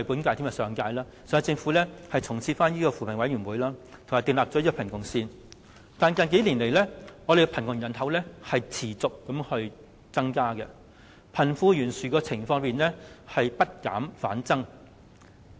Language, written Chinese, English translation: Cantonese, 主席，雖然上屆政府已重設扶貧委員會並定立貧窮線，但近數年，香港的貧窮人口持續增加，貧富懸殊的情況不減反增。, Chairman the previous - term Government had re - established the Commission on Poverty and set the poverty line . Yet in recent years the poor population in Hong Kong kept increasing and the poverty gap has widened rather than narrowed